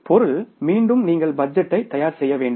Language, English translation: Tamil, It is again you have to prepare the budget